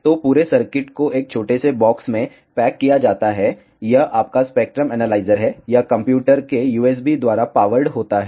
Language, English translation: Hindi, So, the entire circuit is packed into a small box this is your spectrum analyzer, it gets powered by the USB of the computer